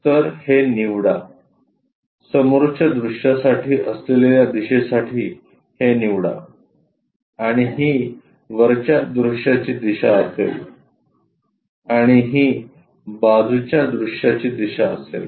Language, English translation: Marathi, So, pick this one, pick this one for the front view direction and this will be top view direction and this one will be side view direction